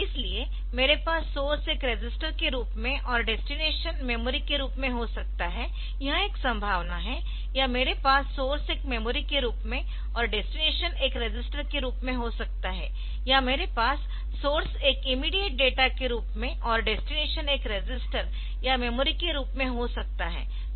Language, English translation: Hindi, So, I can have source as a register destination has a memory or so this is one possibility, source as a register destination as a memory or I can have source as a memory and destination as a register, so that is possible or source as an immediate operand and destination as a register or destination as a memory